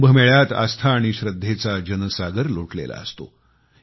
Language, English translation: Marathi, In the Kumbh Mela, there is a tidal upsurge of faith and reverence